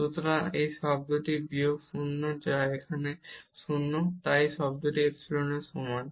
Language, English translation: Bengali, So, this term minus 0 which is 0 here so this term is equal to epsilon